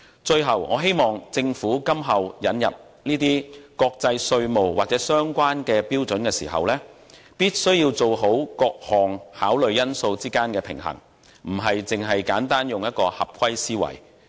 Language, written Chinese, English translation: Cantonese, 最後，我希望政府今後引入國際稅務或相關標準時，好好在各項考慮因素之間取得平衡，而非簡單地以"合規思維"行事。, Lastly I do hope that when the Government is to introduce international tax or related standards in future it will strike a proper balance between different considerations instead of simply acting with a compliance mentality